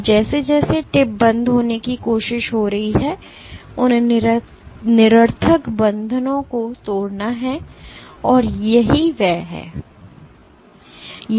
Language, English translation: Hindi, Now as the tip is trying to come off those nonspecific bonds have to break and this is that